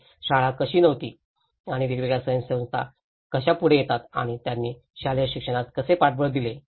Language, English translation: Marathi, And how the schools were not there and how different NGOs come forward and how they supported the school educations